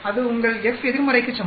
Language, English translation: Tamil, That is equivalent to your f inverse